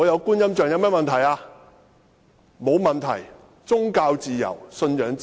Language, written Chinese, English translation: Cantonese, 沒有問題，這是宗教自由、信仰自由。, Of course there is nothing wrong with it as this is freedom of religion freedom of belief